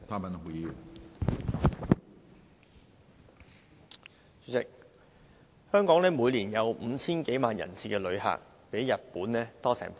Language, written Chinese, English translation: Cantonese, 主席，香港每年有 5,000 多萬人次旅客，比日本多超過一倍。, President there are 50 million - odd visitor arrivals to Hong Kong each year which is more than double that of Japan